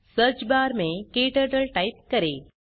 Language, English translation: Hindi, In the Search bar, type KTurtle